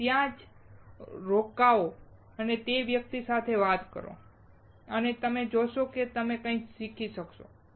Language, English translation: Gujarati, Just stop by there, talk with that guy and you will see that you will learn something